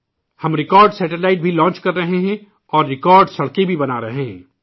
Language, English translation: Urdu, We are also launching record satellites and constructing record roads too